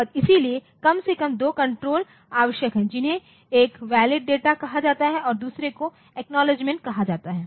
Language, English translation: Hindi, And so, there are some more control at least 2 controls the necessary one is called valid the data valid and the other is called the acknowledgement